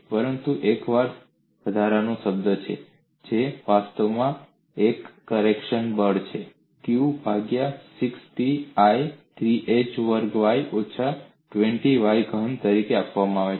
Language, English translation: Gujarati, But there is an additional term, which is actually a correction factor, which is given as q by 60I, 3h squared y minus 20y cube